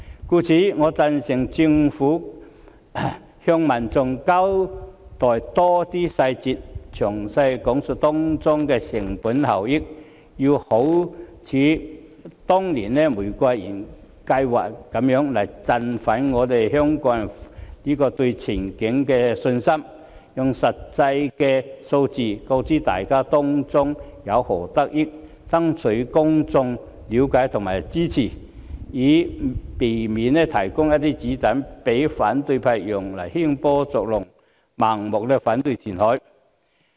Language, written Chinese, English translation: Cantonese, 因此，我贊成政府向民眾交代更多細節，詳細講述當中的成本效益，好像當年的玫瑰園計劃般振奮香港人對前景的信心，用實際數字告知大家當中有何得益，爭取公眾的了解及支持，以免提供一些"子彈"讓反對派用來興波作浪，盲目反對填海。, Therefore I agree that the Government should provide more details to the public and give a detailed account of the cost - effectiveness to be achieved in order to boost the confidence of Hongkongers in the future just as the Rose Garden Project did back then . The Government should present the actual statistics to explain to the public the benefits to be brought to them in order to seek peoples understanding and support rather than providing ammunition for the opposition to stir up troubles and blindly put up objection to reclamation